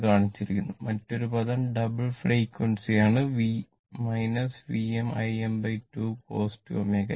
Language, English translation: Malayalam, It is shown and another term is double frequency minus V m I m by 2 cos 2 omega t right